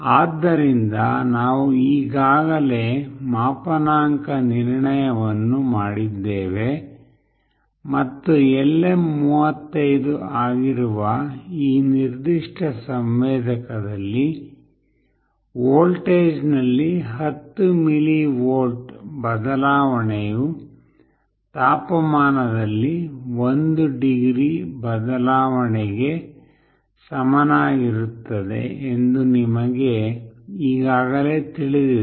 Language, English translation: Kannada, So, we have already done the calibration and as you already know that in this particular sensor that is LM35, 10 millivolt change in voltage will be equivalent to 1 degree change in temperature